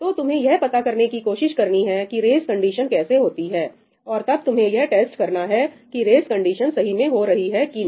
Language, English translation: Hindi, So, you should try to figure out how the race condition is happening and then you can test out whether that race condition is for real or not